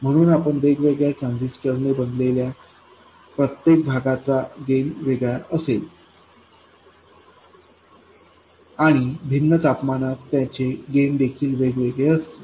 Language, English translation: Marathi, So every piece that you make with a different transistor will have a different gain and also it will have different gain at different temperatures